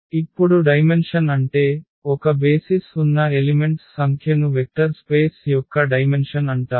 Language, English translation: Telugu, So now, the dimension so, the number of elements in a basis is called the dimension of the vector space